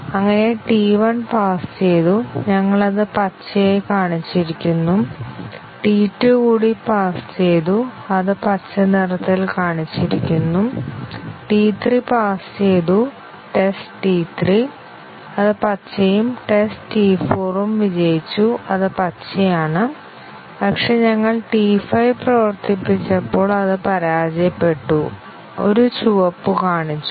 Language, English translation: Malayalam, So, T 1 passed; we have shown it by green; T 2 also passed, shown it by green; T 3 passed; test T 3, that is green and test T 4 also passed, that is green; but, when we ran T 5, it failed, shown by a red